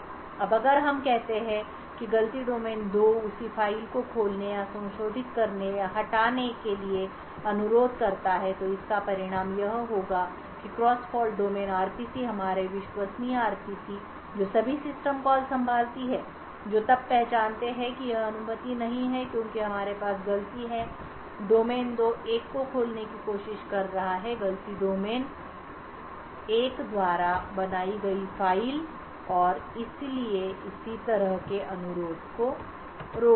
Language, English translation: Hindi, Now if let us say a fault domain 2 request the same file to be opened or modified or deleted this would also result in the cross fault domain RPC our trusted RPC which handles all system calls who then identify that this is not permitted because we have fault domain 2 trying to open a file created by fault domain 1 and therefore it would prevent such a request